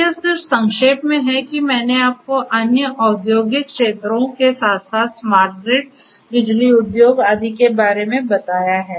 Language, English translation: Hindi, So, this is just in a nutshell that I have told you like this for other industrial sectors as well for smart grid power industry etcetera fog is very important